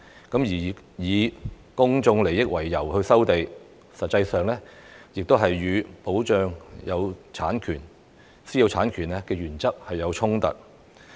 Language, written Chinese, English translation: Cantonese, 事實上，以公眾利益為由收地，亦與"保障私有產權"原則有衝突。, In fact land resumption on grounds of public interests is also contrary to the principle of protecting private property rights